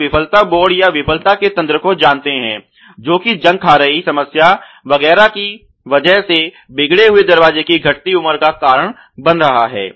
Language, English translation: Hindi, You know failure board ok or mechanisms of failure which is causing which is going to cause the deteriorated life the door because of the rusting problem etcetera